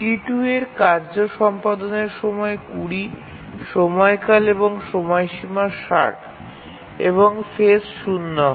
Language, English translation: Bengali, The task T2, execution time is 20, the period and deadline is 60 and the phase is 0